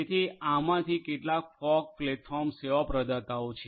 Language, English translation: Gujarati, So, these are some of these fog platform service providers